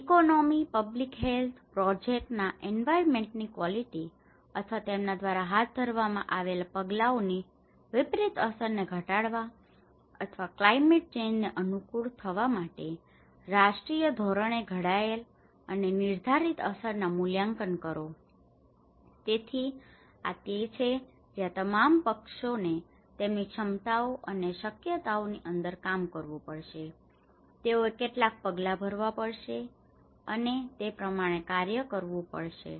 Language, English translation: Gujarati, And make impact assessments formulated and determined nationally with a view to minimizing adverse effects on the economy, public health and quality of environment of projects or measures undertaken by them or adapt to the climate change so, this is where all parties has to work within all their capabilities and feasibilities, they have to take some measures and work accordingly